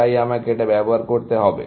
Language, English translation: Bengali, So, I have to use this